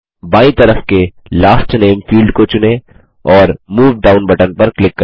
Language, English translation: Hindi, Lets select Last Name field on the left and click the Move Down button